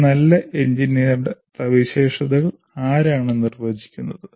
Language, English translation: Malayalam, Who defines the characteristics of a good engineer